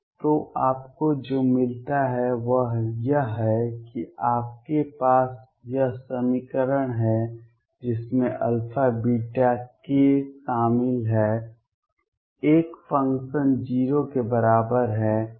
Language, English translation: Hindi, So, what you get is that you have this equation which involves alpha, beta, k, a function is equal to 0